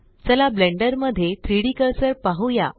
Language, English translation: Marathi, Let us see the 3D cursor in Blender